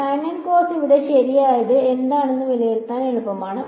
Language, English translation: Malayalam, sin and cos are easy to evaluate what is there right